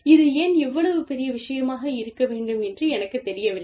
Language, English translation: Tamil, I do not think, you know, why this should be, such a big deal